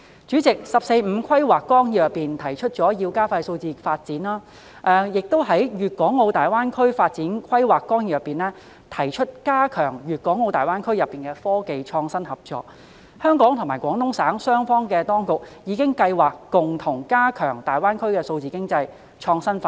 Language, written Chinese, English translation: Cantonese, 主席，《十四五規劃綱要》提出要加快數字化發展，而《粤港澳大灣區發展規劃綱要》亦提出加強粤港澳大灣區內的科技創新合作，香港與廣東省當局已計劃共同加強大灣區的數字經濟創新發展。, President the 14th Five - Year Plan puts forward accelerating digitalization development . The Outline Development Plan for the Guangdong - Hong Kong - Macao Greater Bay Area also proposes to strengthen cooperation in technological innovation in the Guangdong - Hong Kong - Macao Greater Bay Area GBA and the authorities of Hong Kong and the Guangdong Province have planned to jointly strengthen the innovative development of digital economy in GBA